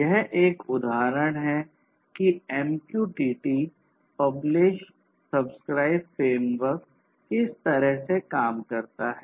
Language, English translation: Hindi, So, this is an example of how the MQTT publish/subscribe framework works